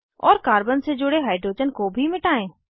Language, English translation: Hindi, And also, delete hydrogen attached to the carbon